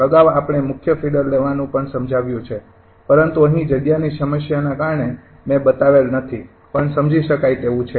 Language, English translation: Gujarati, earlier we have explained also taking main feeder, but here because of the space problem i have not shown but understandable